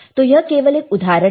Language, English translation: Hindi, So, this is a just an example